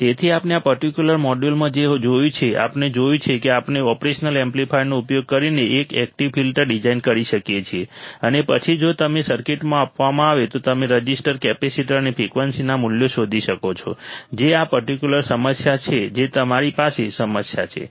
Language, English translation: Gujarati, So, what we have seen in this particular module, we have seen that we can design an active filter using the operational amplifier and then if you are given a circuit then you can find the values of the resistors, capacitors or frequency and or if you are given the values you can design the circuit which is this particular problem which is the problem in front of you